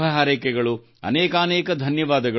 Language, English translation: Kannada, Thank you very much, Namaskar